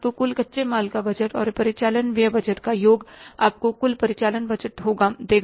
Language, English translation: Hindi, So, some total of the raw material budget and operating expenses budget will give you the total operating budget